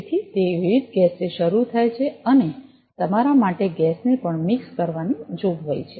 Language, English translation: Gujarati, So, it starts with variety of gas and there is a provision for you to mix the gas also